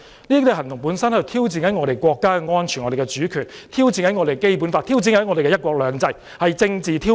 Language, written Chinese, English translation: Cantonese, 這種行動本身是在挑戰我們的國家安全、主權、《基本法》及"一國兩制"，是政治挑釁。, Such an action was in itself a challenge to the security and sovereignty of our country the Basic Law and one country two systems . That was political provocation